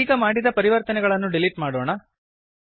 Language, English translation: Kannada, Now, let us delete the changes made